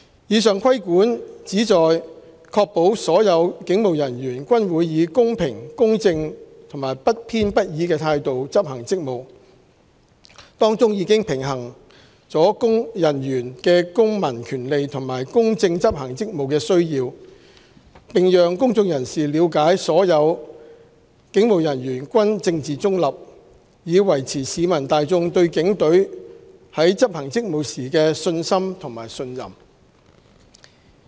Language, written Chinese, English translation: Cantonese, 以上規管旨在確保所有警務人員均會以公平、公正和不偏不倚的態度執行職務，當中已平衡人員的公民權利和公正執行職務的需要，並讓公眾人士了解所有警務人員均政治中立，以維持市民大眾對警隊在執行職務時的信心及信任。, The purpose of the above restriction is to ensure all police officers do adopt a fair just and impartial approach in discharging their duties . The restriction balances the civil rights of officers and the requirement for them to impartially discharge their duties . It also enables the public to appreciate police officers are politically neutral in order to maintain publics confidence and trust in the Polices execution of duties